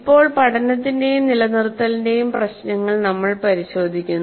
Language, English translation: Malayalam, Now we look at the issues of learning and retention